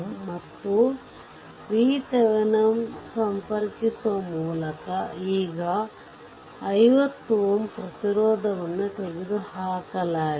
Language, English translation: Kannada, 91 and V Thevenin in that with that you connect, now the 50 ohm resistance which was taken off right